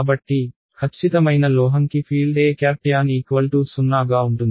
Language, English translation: Telugu, So, perfect metal will have tangential E field is 0 right